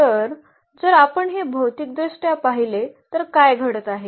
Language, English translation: Marathi, So, if we look at this geometrically what is happening